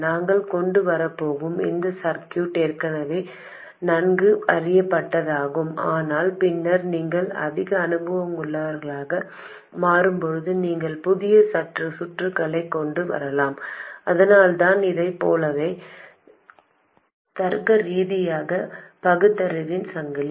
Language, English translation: Tamil, This circuit we are going to come up with is already well known but later when you become more experienced you can come up with new circuits and that is why a chain of logical reasoning just as this one